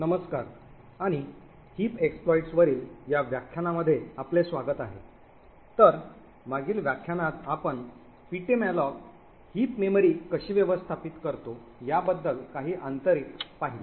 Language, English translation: Marathi, Hello and welcome to this lecture on heap exploits, so in the previous lecture we had looked at some of the internals about how ptmalloc manages the heap memory